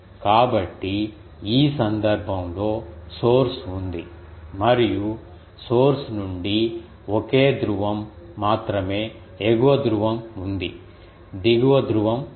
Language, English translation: Telugu, So, in this case the source is there and from the source, there is only a single pole the upper pole is there the lower pole is not there